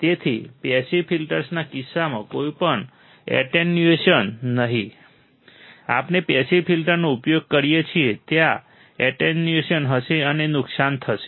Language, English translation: Gujarati, Hence, no attenuation as in case of passive filters; we use passive filters, there will be attenuation and there will be loss